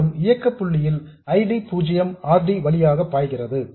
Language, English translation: Tamil, And in the operating point condition that ID 0 will flow through RD